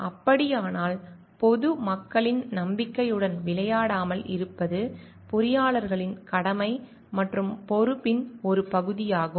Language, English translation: Tamil, So, in that case it is a part of the duty and responsibility of the engineers to see like they are not playing with the trust of the public in general